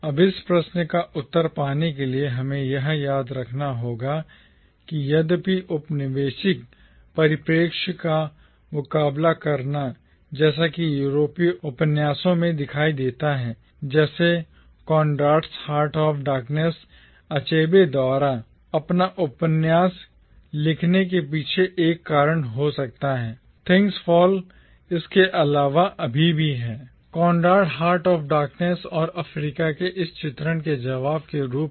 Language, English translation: Hindi, Now, to get an answer to this question we have to remember that though countering the colonial perspective as it appears in European novels like Conrad’s Heart of Darkness might have been one of the reasons behind Achebe writing his novel, Things Fall Apart is however not just meant as an answer to Conrad’s Heart of Darkness and its portrayal of Africa